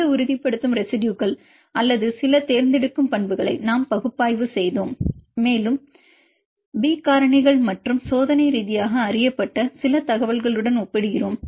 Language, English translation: Tamil, And we analyzed this stabilizing residues or some choosing properties and compared with the B factors and as well as some of the experimentally known information